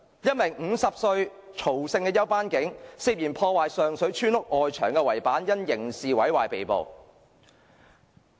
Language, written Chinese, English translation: Cantonese, 一名50歲曹姓休班警員，涉嫌破壞上水村屋外牆圍板，因刑事毀壞被捕。, A 50 - year - old off - duty policeman by the surname TSO was arrested for criminal damage of the hoarding of a village house in Sheung Shui